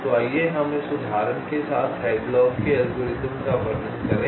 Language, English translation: Hindi, let see, the first one is called hadlocks algorithm